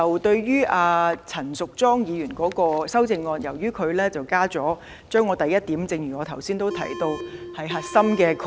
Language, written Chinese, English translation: Cantonese, 對於陳淑莊議員的修正案，她修改了我的第一項，而這點是我原議案的核心概念。, As for Ms Tanya CHANs amendment she proposed to amend point 1 which is the core concept of my original motion